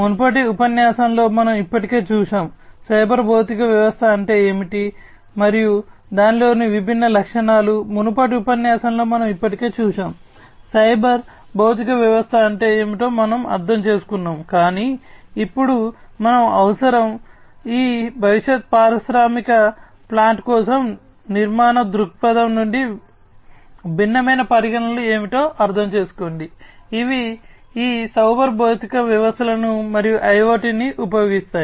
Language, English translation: Telugu, That we have already seen in a previous lecture, the different you know what is a cyber physical system, and the different properties of it, we have already seen in a previous lecture, we have understood what is cyber physical system is, but now we need to understand that what are the different considerations from an architectural view point for these futuristic industrial plant, which use these cyber physical systems and IOT